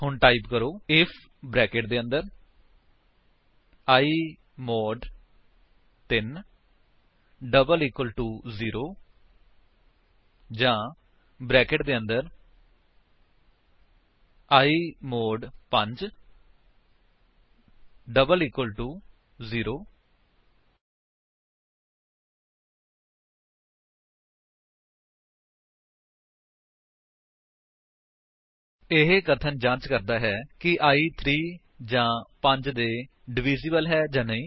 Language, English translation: Punjabi, So type: if within brackets i mod 3 equal equal to 0 OR within brackets i mod 5 equal equal to 0 This statement checks whether i is divisible by 3or by 5